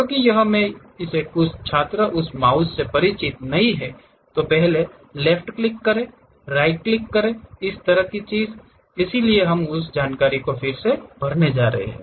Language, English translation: Hindi, ah Because uh some of the students are not pretty familiar with this mouse left click, right click kind of thing, so we are going to recap those information